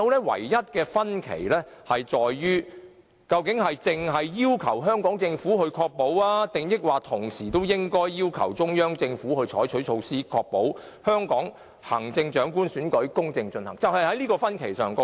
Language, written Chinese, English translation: Cantonese, 唯一的分歧在於，究竟只要求香港政府，抑或同時應該要求中央政府採取措施，確保香港行政長官選舉公正進行，這是唯一分歧。, The only difference is whether one should only request the Hong Kong Government or at the same time also request the Central Government to take measures to ensure the fair conduct of the election of the Chief Executive of Hong Kong . That is the only difference